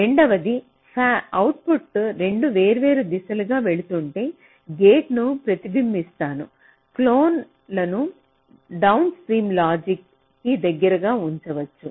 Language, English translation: Telugu, and the second one you can mentioned, if the, if the output going in two different directions, so we can replicate gate and place the clones closer to the downstream logic